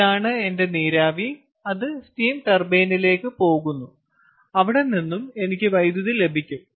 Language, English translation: Malayalam, this is my steam that goes to my steam turbine and from there also i get electricity, clear